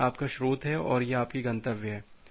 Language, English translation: Hindi, So, this is your source and this is your destination